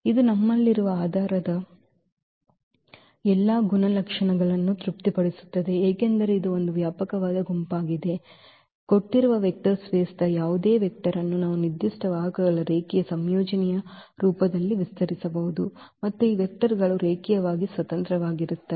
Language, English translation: Kannada, So, it satisfies all the properties of the basis we have this is a spanning set because, we can span any vector of the given vector space in the form of as a linear combination of the given vectors and also these vectors are linearly independent